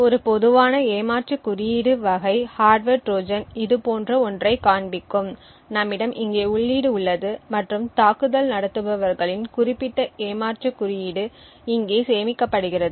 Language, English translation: Tamil, A typical cheat code type of hardware Trojan would look something like this we have a input over here and the attackers specific cheat code is stored over here